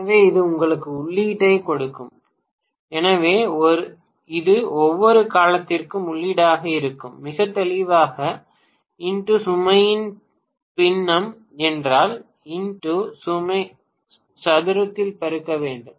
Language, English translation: Tamil, So, this will give you the input, so this will be the input for every duration, very clearly it has to be multiplied by x square if x is the fraction of the load